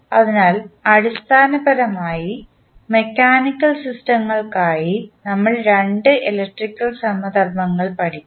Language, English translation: Malayalam, So, basically we will study 2 electrical analogies for mechanical systems